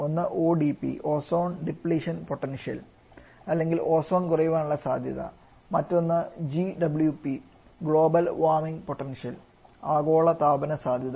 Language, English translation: Malayalam, One is ODP Ozone depletion potential other is GWP global warming potential both are highly talked about terms now a days